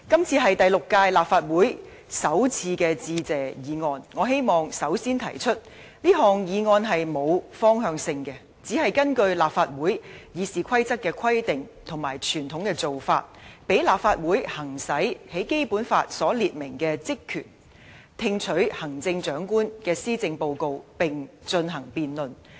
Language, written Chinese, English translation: Cantonese, 這是第六屆立法會首次的致謝議案，我希望首先提出，這項議案是並沒有方向性的，只是根據立法會《議事規則》的規定和傳統的做法而提出，讓立法會行使《基本法》所列明的職權："聽取行政長官的施政報告並進行辯論"。, This is the first Motion of Thanks in the sixth term of the Legislative Council . To begin with I wish to say that this motion does not contain any direction . It is purely moved according to the stipulations in this Councils Rules of Procedure and conventions with the aim of enabling this Council to exercise its power and function specified in the Basic Law To receive and debate the policy addresses of the Chief Executive